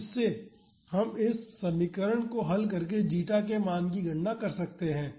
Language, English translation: Hindi, So, from this we can evaluate the value of zeta solving this equation